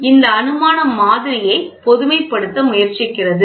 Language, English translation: Tamil, So, this assumption tries to generalize the model